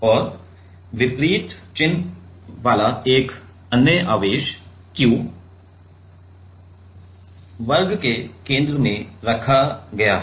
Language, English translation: Hindi, And another charge capital Q of opposite sign is placed at the center of the square